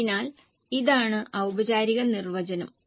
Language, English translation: Malayalam, So, this is the formal definition